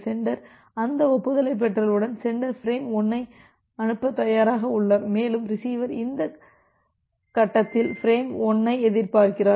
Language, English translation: Tamil, Once the sender receives that acknowledgement, so it has now at this position so, the sender is ready to send frame 1 and the receiver is at this point expecting from frame 1